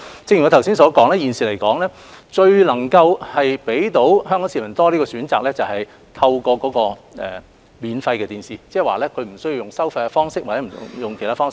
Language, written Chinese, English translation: Cantonese, 正如我剛所說，目前最能讓香港市民有更多選擇的方法，是透過免費電視台轉播，即市民不需要付費或透過其他方式收看。, As I have just said currently the best way to give Hong Kong citizens more choices is the broadcasting of relay programmes by free TV broadcasters which means people can watch these programmes without the need to pay or resort to other means